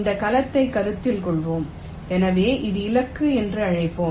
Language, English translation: Tamil, let say, let us consider this cell, so lets call this was the target